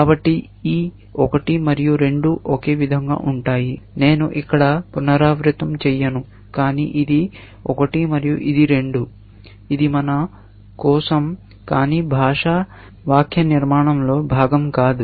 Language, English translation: Telugu, So, this 1 and 2 will be the same; I will not repeat that here, but this is 1 and this is 2; it is just for our sake, but not part of the language syntax